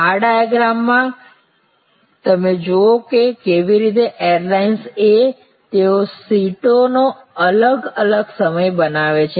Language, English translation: Gujarati, So, in this diagram you see how the airlines A, they create different times of seats